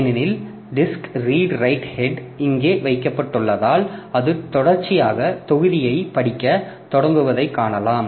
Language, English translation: Tamil, Because once the disk redried head has been placed here, so you see that it can start reading the blocks sequentially